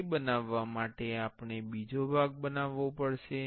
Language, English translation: Gujarati, For making that we have to create another part